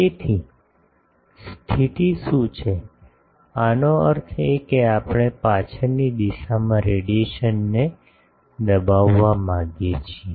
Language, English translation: Gujarati, So, what is the condition; that means, we want to suppress the radiation in the backward direction